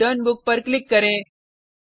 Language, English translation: Hindi, Click on Checkout/Return Book